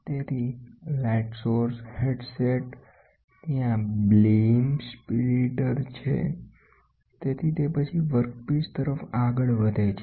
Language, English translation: Gujarati, So, light source headset then, there is a beam splitter; so then it moves towards it moves towards the workpiece